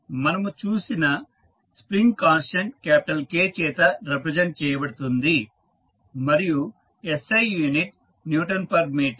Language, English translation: Telugu, Spring constant just we saw is represented by capital K and the SI unit is Newton per meter